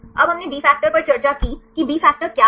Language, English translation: Hindi, Now, we discussed B factor what is the B factor